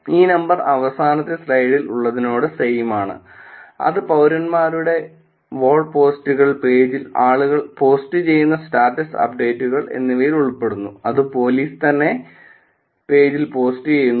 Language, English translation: Malayalam, This number would be same as in the last slide which is citizen walls posts people are posting on the page and the status updates which is police themselves the posting on the page